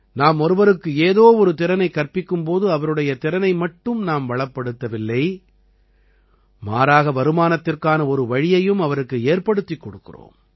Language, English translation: Tamil, When we teach someone a skill, we not only give the person that skill; we also provide a source of income